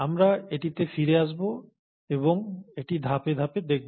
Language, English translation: Bengali, So we’ll come back to this and see it in a step by step fashion